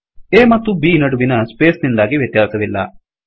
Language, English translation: Kannada, The space between A and B does not matter